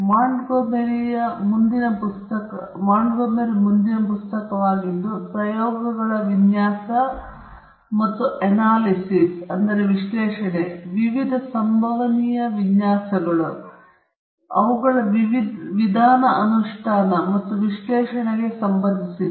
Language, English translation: Kannada, The next book is by Montgomery, which deals with the Design and Analysis of Experiments, the various possible designs, and their method of implementation, and analysis